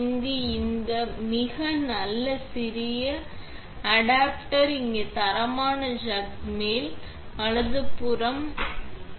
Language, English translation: Tamil, It has this very nice little adapter here that you can fit right on top with the standard chuck